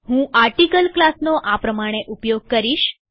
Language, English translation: Gujarati, I will use the article class as follows